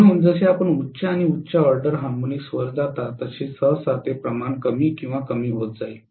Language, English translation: Marathi, So, as you go to higher and the higher order harmonics generally it will be decreased or diminishing proportionately